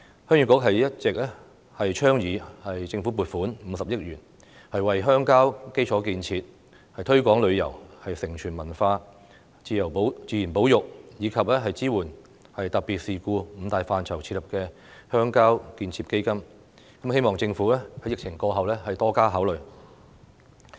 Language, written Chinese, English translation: Cantonese, 鄉議局一直倡議政府撥款50億元設立鄉郊建設基金，為鄉郊基礎建設、推廣旅遊、承傳文化、自然保育，以及支援特別事故這五大範疇提供撥款，希望政府在疫情過後對此多加考慮。, The Heung Yee Kuk has all along advised the Government to allocate 5 billion to set up a rural development fund to provide funding for five major areas such as rural infrastructure development tourism promotion cultural inheritance nature conservation and assistance in special incidents . It is hoped that the Government will give more thought to this proposal after the epidemic